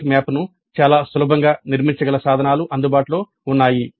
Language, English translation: Telugu, There are tools available by which the concept map can be constructed very easily open source tools